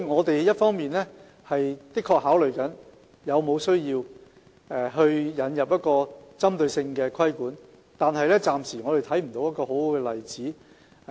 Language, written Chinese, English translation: Cantonese, 所以，一方面我們的確正在考慮有沒有需要引入一套針對性的規管，但暫時看不到一個很好的例子。, While we are considering the need to introduce targeted regulation we do not see any good example for the time being